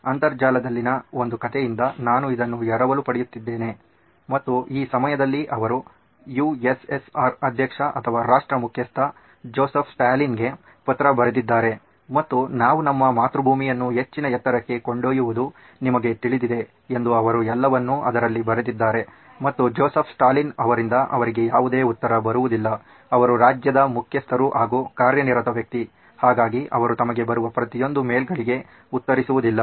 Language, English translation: Kannada, I am borrowing this from a story on the internet that he actually wrote a letter to Joseph Stalin the President or the head of state for the USSR at that time and he said this is what we can do to you know take our motherland to greater heights so he wrote all that and he did not hear back from Joseph Stalin of course he is the head of the state, he is a busy guy, he does not reply to every mail that comes to him